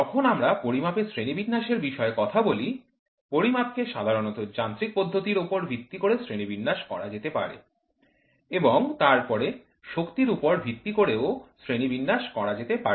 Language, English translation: Bengali, When we talk about classification of measurements, measurements generally can be classified into mechanisms and the next one is by power types